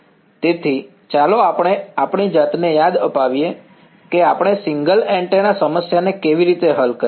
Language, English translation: Gujarati, So, let us remind ourselves, how we solved the single antenna problem